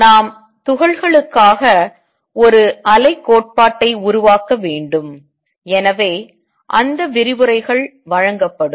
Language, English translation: Tamil, We want to develop a wave theory for particles and therefore, those lectures will given